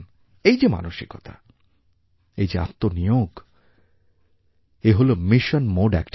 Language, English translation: Bengali, This spirit, this dedication is a mission mode activity